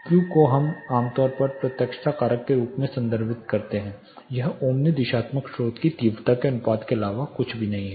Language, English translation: Hindi, Q we refer to typically as directivity factor, it is nothing but the ratio of the intensity of Omni directional source